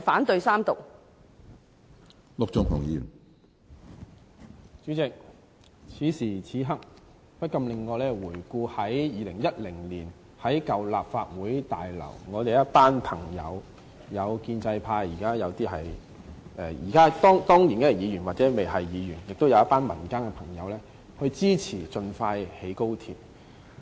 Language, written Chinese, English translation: Cantonese, 主席，此時此刻，不禁令我回想起2010年於舊立法會大樓，我們一群朋友，包括當年是議員或尚未出任議員的建制派同事及一群民間朋友，支持盡快興建高鐵。, President this moment reminds me of a meeting at the old Legislative Council building in 2010 . At that time we and a group of friends including pro - establishment colleagues who were already a Member or not yet a Member and members of the public supported the expeditious construction of the Express Rail Link XRL